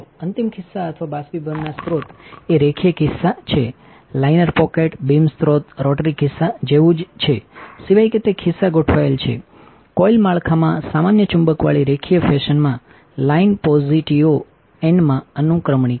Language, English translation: Gujarati, The final pocket or evaporation sources is linear pocket a liner pocket a beam source is similar to rotary pocket except that the it is pockets are arranged the line are index into position in a linear fashion with a common magnet into coil structure